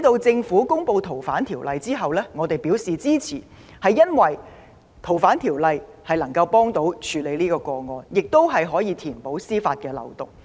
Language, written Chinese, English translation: Cantonese, 政府公布《條例草案》後，我們表示支持，皆因相關修訂有助處理台灣殺人案，亦可填補司法漏洞。, We expressed support for the Bill because it would help to deal with the Taiwan homicide case and also plug a loophole in law